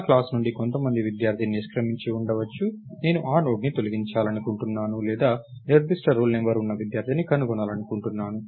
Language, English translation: Telugu, May be some student drops out of my class, I want to delete that Node or I want to find a student who has a particular role number